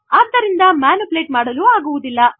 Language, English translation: Kannada, Therefore they cannot be manipulated